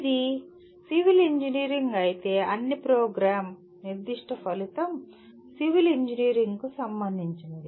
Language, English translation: Telugu, If it is civil Engineering all the program specific outcome should be related to Civil Engineering